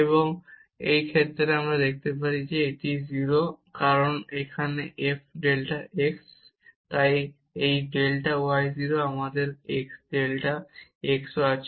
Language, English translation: Bengali, And in this case we can show that this is 0, because here f delta x; so this delta y 0 and we have the delta x